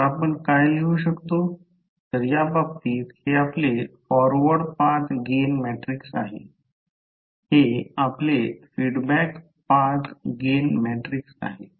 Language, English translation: Marathi, So, what we can write so in this case this is your the forward path gain matrix, this is your feedback path gain matrix